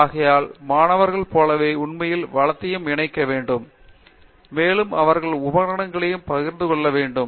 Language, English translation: Tamil, So, therefore, like students will have to actually combine the resource and they may be also sharing equipment and so on